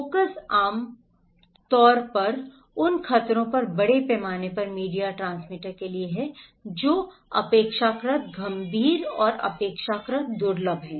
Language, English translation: Hindi, The focus is generally for the mass media transmitter on the hazards that are relatively serious and relatively rare